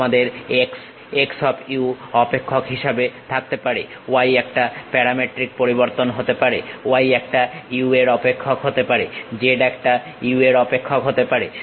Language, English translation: Bengali, You may be having x as a function of x of u; y might be a parametric variation y as a function of u; z might be function of u